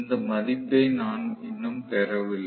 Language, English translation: Tamil, So, I am yet to get this value